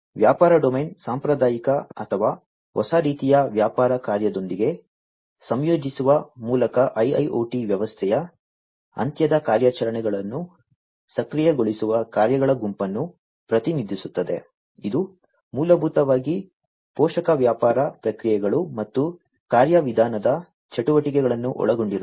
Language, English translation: Kannada, The business domain represents the set of functions which enables end to end operations of the IIoT system by integrating them with the traditional or, new type of business function, which basically includes supporting business processes and procedural activities